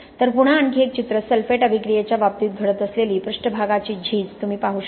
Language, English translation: Marathi, So again another picture, you can see the surface deterioration which is happening in the case of sulphate attack